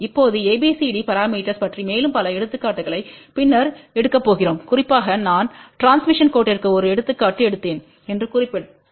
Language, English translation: Tamil, Now, we are going to take many many more examples later on about ABCD parameters especially just to mention that I did take an example of transmission line